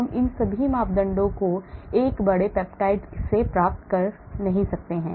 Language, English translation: Hindi, we cannot get all these parameters from a big peptide